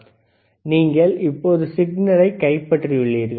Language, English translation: Tamil, So, you see you have now captured the signal